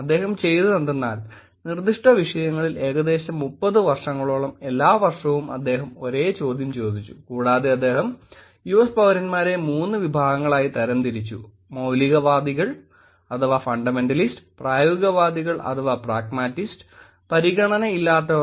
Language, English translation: Malayalam, So, what he did was, he kind of asked the same question every year on specific topics for about 30 years or so, and he kind of classifed the US citizens into these 3 categories; fundamentalists, pragmatists, unconcerned